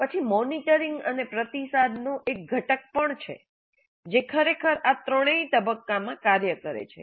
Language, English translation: Gujarati, Then there is also a component of monitoring and feedback which actually works throughout all these three phases